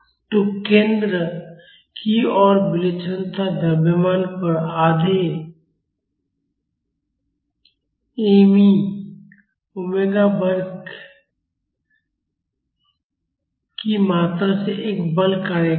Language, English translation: Hindi, So, a force will act on each of the eccentric masses towards the center by the amount half me e omega square